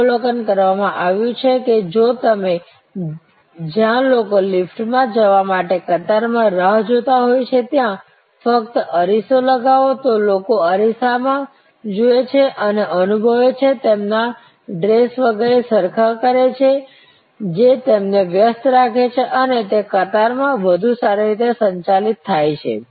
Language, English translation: Gujarati, It has been observe that, even if you just put a mirror, where people wait to in queue to get in to the elevator, people look in to the mirror and feel, you know adjust their dresses, etc, that keeps them occupied and that queue is better managed